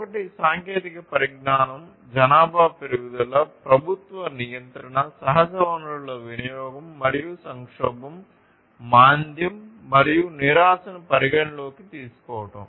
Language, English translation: Telugu, One is technology, growth of population, government regulation, consumption of natural resources, and consideration of crisis, recession, and depression